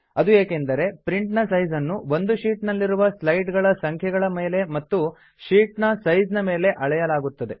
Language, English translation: Kannada, This is because the size of the print is determined by the number of slides in the sheet and size of the sheet